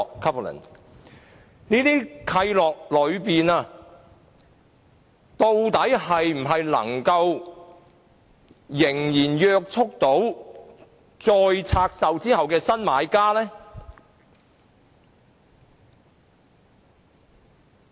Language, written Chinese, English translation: Cantonese, 究竟這些契諾是否仍然能約束再拆售後的新買家？, Are these covenants still binding on the new buyers after further divestment?